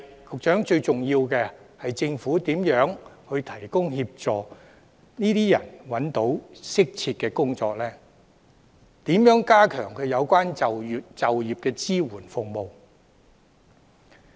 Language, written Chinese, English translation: Cantonese, 可是，最重要的是政府如何協助這些人找到適切的工作，以及如何加強就業支援服務。, Most importantly however the Government should help these people find suitable jobs and strengthen the employment support services